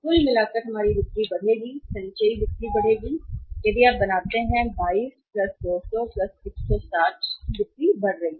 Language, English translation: Hindi, Our sales will be going up by total cumulative sales if you make out that is 22 + 200 + 160 will be increasing the sales